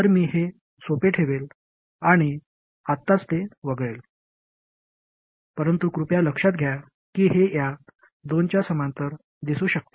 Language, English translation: Marathi, So I will keep it simple and I will omit it for now, but please realize that it will simply appear in parallel with these two